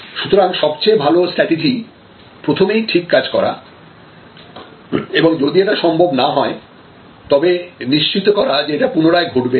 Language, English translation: Bengali, So, best strategy is to do it right the first time, but if not, then see you set it right and absolutely ensure that, it does not happen again